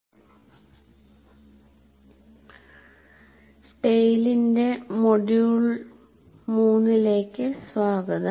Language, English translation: Malayalam, Greetings and welcome to module 3 of tale